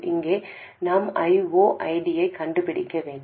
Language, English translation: Tamil, Here we need to find I0 minus ID